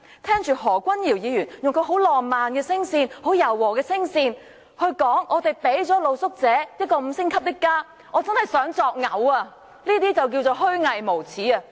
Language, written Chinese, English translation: Cantonese, 聽着何君堯議員以其浪漫柔和的聲線說他們向露宿者提供了五星級的家，我真的很感噁心，這便是虛偽無耻。, I find it disgusting to hear Dr Junius HO talking about providing street sleepers with a five - star home in a soft and romantic voice . How hypocritical and shameless he is